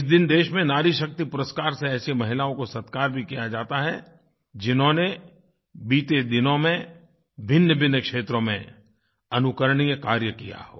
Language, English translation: Hindi, On this day, women are also felicitated with 'Nari Shakti Puraskar' who have performed exemplary tasks in different sectors in the past